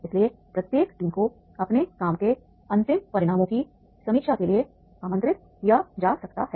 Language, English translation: Hindi, So each team may be invited to review the final results of its work